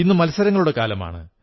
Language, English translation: Malayalam, Today is the era of competition